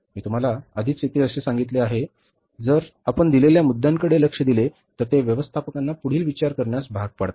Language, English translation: Marathi, I told you already, but here if you look at the points given that it compels managers to think at